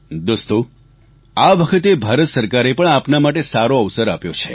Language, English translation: Gujarati, Friends, this time around, the government of India has provided you with a great opportunity